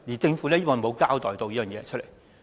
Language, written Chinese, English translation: Cantonese, 政府沒有交代這一點。, The Government has not said anything about this